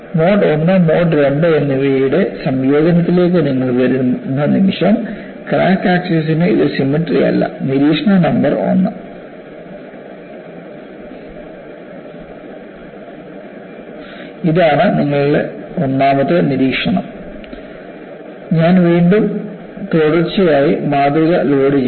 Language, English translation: Malayalam, The moment you come to a combination of mode 1 and mode 2, you find, it is no longer symmetrical about the crack axis observation number one; and I would again load the specimen sequentially